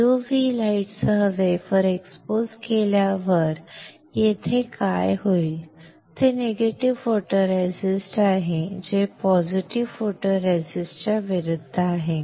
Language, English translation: Marathi, On exposing the wafer with UV light what will happen the area here it is negative photoresist which is opposite to for positive photoresist